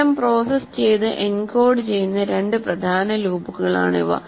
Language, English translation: Malayalam, These are the two major loops that process the information and encode